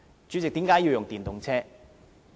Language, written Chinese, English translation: Cantonese, 主席，為何要使用電動車？, President what is the reason for using EVs?